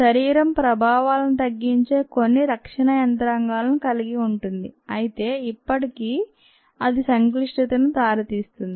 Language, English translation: Telugu, ah, the body has certain defense mechanism that minimize the effects, ah, but still it could lead to complications